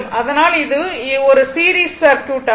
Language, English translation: Tamil, So, this is the this is the series circuit